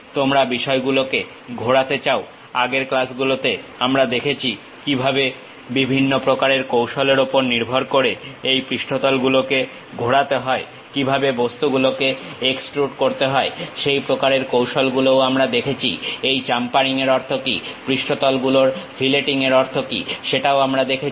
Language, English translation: Bengali, You want to revolve the things in the last classes we have seen how to revolve these surfaces based on different kind of strategies, how to extrude the objects that kind of strategies also we have seen, how to what it means chamfering, what it means filleting of surfaces also we have seen